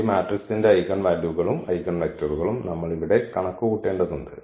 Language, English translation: Malayalam, We have to just compute the eigenvalues and eigenvector of this matrix here